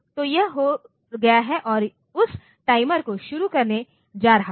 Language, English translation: Hindi, So, that is done and going to start that timer